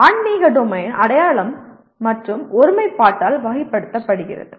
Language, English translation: Tamil, Spiritual Domain is characterized by identity and integrity